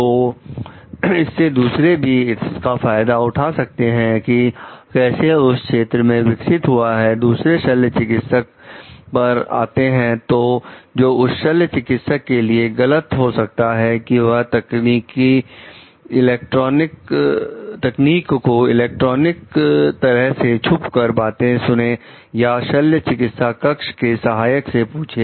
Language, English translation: Hindi, So, that you can others can also gain advantage of and that is how the field develops, coming to the second surgeon who like would it be wrong for the surgeon to try to learn the technique by say electronic eavesdropping or asking an operating room assistant